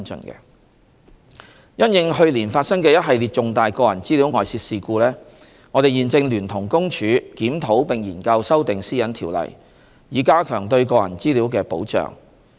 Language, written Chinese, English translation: Cantonese, 三因應去年發生的一系列重大個人資料外泄事故，我們現正聯同公署檢討並研究修訂《私隱條例》，以加強對個人資料的保障。, 3 In response to the spate of major data breach incidents last year we are now working with PCPD to review and consider the amendments to PDPO with a view to better safeguarding personal data privacy